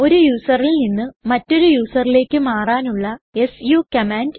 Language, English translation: Malayalam, su command to switch from one user to another user